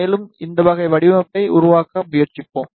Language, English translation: Tamil, And on the top, we will try to make this type of design